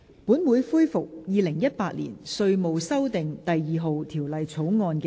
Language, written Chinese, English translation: Cantonese, 本會恢復《2018年稅務條例草案》的二讀辯論。, This Council resumes the Second Reading debate on the Inland Revenue Amendment No . 2 Bill 2018